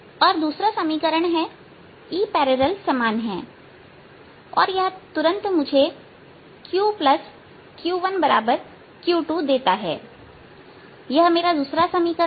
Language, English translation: Hindi, and the other equation is that e parallel is the same and that immediately gives me q plus q one is equal to q two